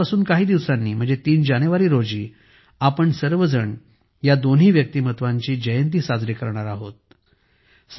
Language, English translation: Marathi, Just a few days from now, on January 3, we will all celebrate the birth anniversaries of the two